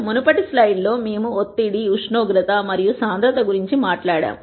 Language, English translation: Telugu, In the previous slide, we talked about pressure, temperature and density